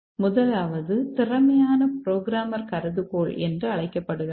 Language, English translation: Tamil, The first one is called as competent programmer hypothesis